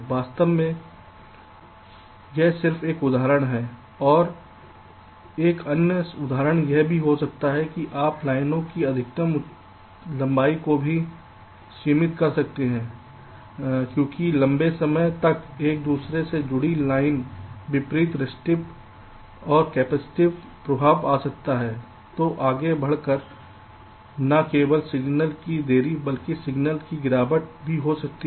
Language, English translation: Hindi, this is just as an example, and also another example can be: you can also limit the maximum length of the lines because longer an interconnection line the distributed restive and capacitive effects can be coming which can lead to not only signal delays but also signal degradation